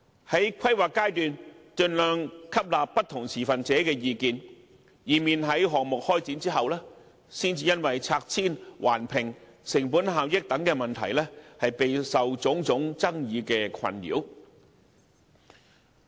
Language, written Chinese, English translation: Cantonese, 在規劃階段，盡量吸納不同持份者的意見，以免在項目開展後，才因拆遷、環評、成本效益等問題，備受種種爭議困擾。, They should absorb as much as possible the views of different stakeholders in the planning stage to avoid any problems and conflicts involving demolition and relocation Environmental Impact Assessment and cost and efficiency after commencing the projects